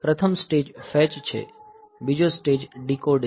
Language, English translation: Gujarati, The first stage is the fetch, second stage is that decode